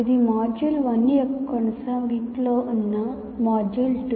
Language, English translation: Telugu, This is module 2 which is in continuation of that